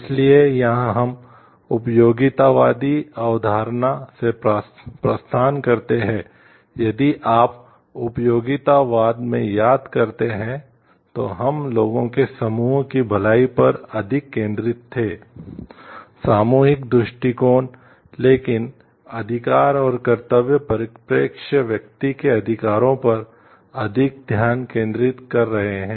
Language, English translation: Hindi, So, here we see a departure from the utilitarian concept, if you remember in utilitarianism we were more focused on the wellbeing of a group of people the collectivist approach, but rights and duties perspective are focusing more on the rights of the individual